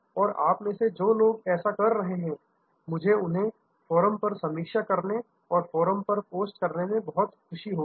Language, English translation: Hindi, And those of you will be doing it, I will be very happy to review them on the Forum, post them on the Forum